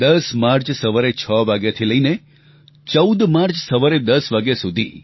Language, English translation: Gujarati, on the 10th of March, till 10 am of the 14th of March